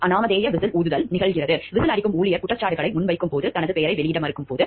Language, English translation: Tamil, Anonymous whistle blowing occurs, when the employee who is blowing the whistle refuses to reveal his name when making allegations